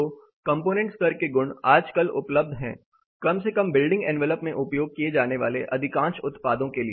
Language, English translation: Hindi, So, component level properties are also increasingly available at least for more of the products used in building envelope